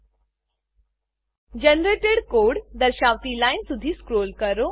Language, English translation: Gujarati, Scroll down to the line that says Generated Code